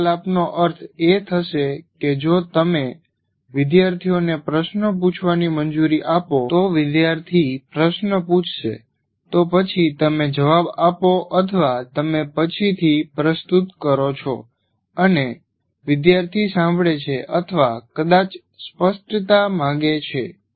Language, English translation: Gujarati, These conversations would mean if you allow students to ask you questions, student will ask a question, then you answer, or other times you are presenting and the student is listening or possibly seeking clarifications